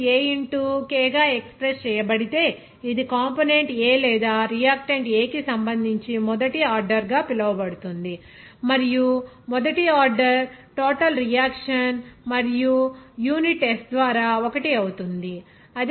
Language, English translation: Telugu, Here if rate is expressed as k into A, it will be called as first order with respect to component A or reactant A and first order overall reaction and unit will be 1 by s